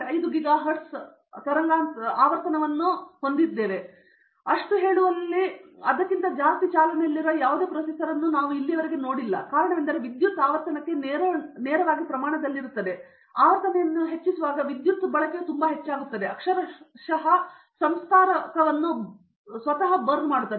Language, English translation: Kannada, 5 giga hertz, the reason is that the power is directly proportional to the frequency and so if I keep increasing the frequency, the power will be so high that it will burn the processor itself, literally burn the processor itself